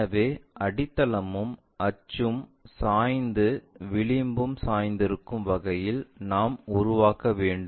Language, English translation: Tamil, So, we have to construct in such a way that base and axis are inclined and edge also supposed to be inclined